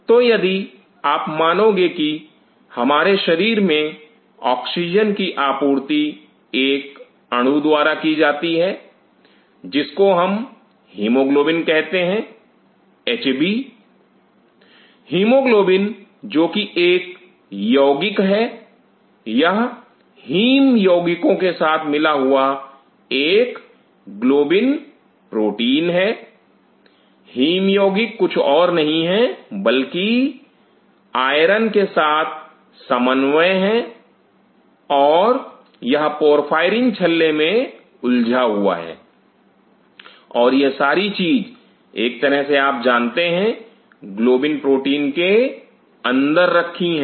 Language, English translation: Hindi, So, if you realize in our body the oxygen supply is met by the molecule called hemoglobin Hb, hemoglobin which is complex it is a globin protein with a haem complex haem complex is nothing, but iron and it is its found coordination complex and it is entrapped in a porphyrin ring and this whole thing is kind of you know place inside a protein call globin